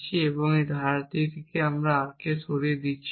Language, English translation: Bengali, I am removing R from this clause I am removing not of R